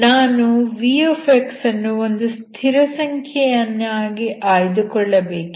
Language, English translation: Kannada, So I have to choose my v as a constant, so you can take it as 1